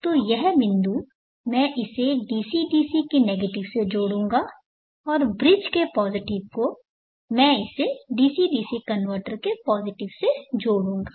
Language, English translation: Hindi, So this point I will connect it to the negative of the DC DC convertor and the positive of the bridge I will connect it to the positive of the DC DC convertor